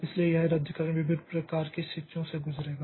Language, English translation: Hindi, So, this cancellation will go through different types of situations